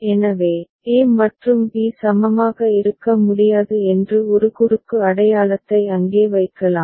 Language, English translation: Tamil, So, we can put a cross mark over there right that a and b cannot be equivalent ok